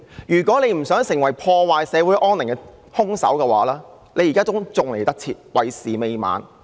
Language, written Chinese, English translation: Cantonese, 如果局長不想成為破壞社會安寧的兇手，現在還趕得及，為時未晚。, If the Secretary does not want to be the killer of social peace it is not yet too late for him to pull back from the brink